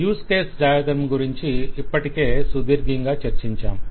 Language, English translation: Telugu, We have already discussed about the use case diagram at length